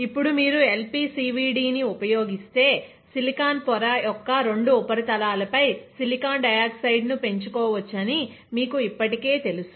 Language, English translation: Telugu, Now you already know that if we use LPCVD then we can grow silicon dioxide on both the surfaces of silicon wafer, this is silicon dioxide, this silicon, this is silicon dioxide